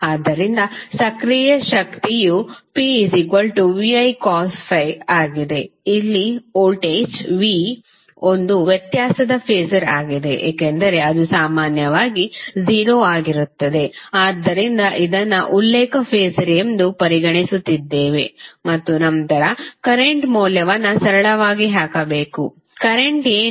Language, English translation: Kannada, So, active power is nothing but VI cos phi, here voltage V is a difference phasor because it is generally 0 so we are considering it as a reference phasor and then you have to simply put the value of current, current would be what